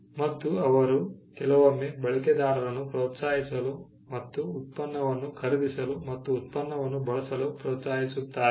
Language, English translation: Kannada, They sometime encourage users; they sometimes encourage users to take up and to buy the product and to use the product